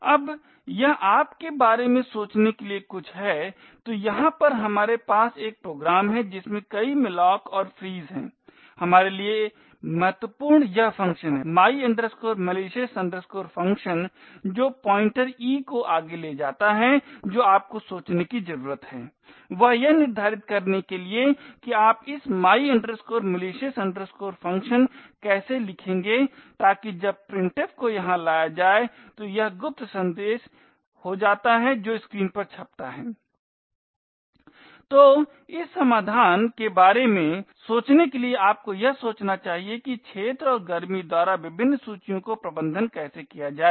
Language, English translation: Hindi, Now this is something for you to think about, so over here we have a program which has several malloc and frees important for us is this function my malicious function which takes the pointer e further what you need to think about is to determine how you would write this my malicious function, so that when printf gets invoked over here it is this secret message get that gets printed on the screen